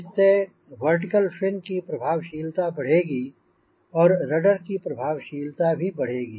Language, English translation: Hindi, so the vertical fin effectiveness will increase and hence rudder effectiveness also will increase